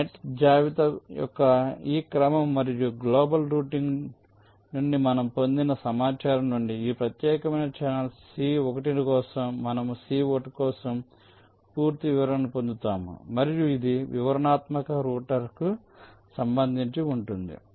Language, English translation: Telugu, so from this sequence of net list and the information we have obtained from global routing, we obtain the complete specification for c one, for this particular channel, c one, and this is with respect to detailed router